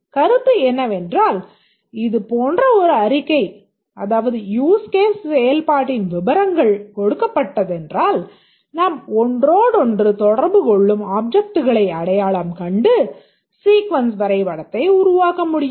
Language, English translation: Tamil, The idea is that given a statement like this, that is a details of a use case execution, we need to identify the objects that interact to each other and develop the sequence diagram